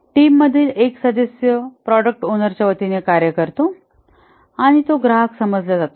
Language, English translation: Marathi, One of the team member acts as on behalf of the product owner that is a customer